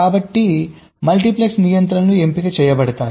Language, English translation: Telugu, so the multiplexes, controls will be selected and so on